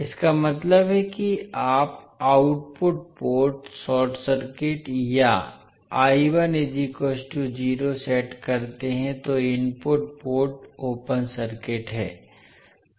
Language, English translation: Hindi, That means you set the output port short circuit or I1 is equal to 0 that is input port open circuit